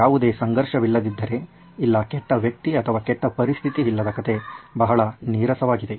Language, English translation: Kannada, So if there is no conflict, there is no bad guy or bad situation, the story is pretty boring